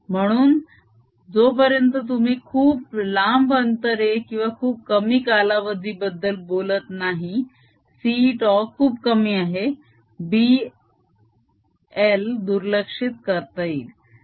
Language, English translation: Marathi, so unless you are really talking large distances or very short time period, so that c tau is very small, the, the, the b one is going to be almost negligible